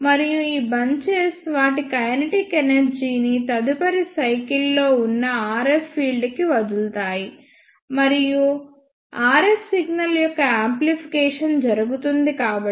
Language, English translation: Telugu, And these bunches will give up their kinetic energy to the RF field present there in the next cycle; and because of that amplification of RF signal will take place